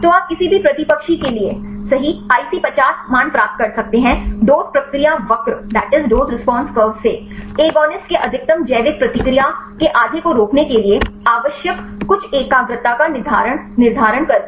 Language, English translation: Hindi, So, you can get the IC50 values right for any antagonist, by determining the some concentration needed to inhibit half of the maximum biological response right of the agonist from the dose response curve